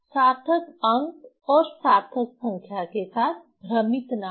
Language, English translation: Hindi, Don't confuse with the significant digit and significant number